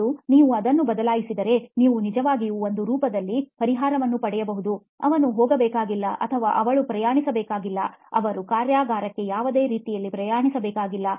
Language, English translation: Kannada, And if you change that, you can actually get a solution in the form of, well he doesn’t or she doesn’t have to travel, they do not have to travel all the way to the workshop